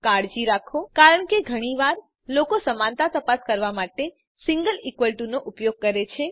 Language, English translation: Gujarati, Please be careful because, often people use a single equal to symbol for checking equality